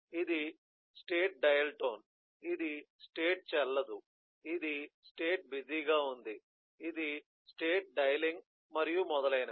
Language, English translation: Telugu, so this is the dial tone, this is the state invalid, this is the busy, this is the dialing, and so on